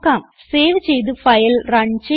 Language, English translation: Malayalam, Save and Runthe file